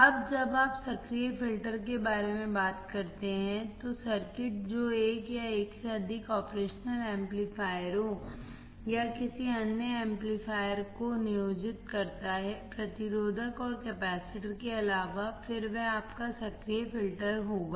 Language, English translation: Hindi, Now, when you talk about active filters, the circuit that employ one or more operational amplifiers or any other amplifier, in addition to the resistor and capacitors then that will be your active filter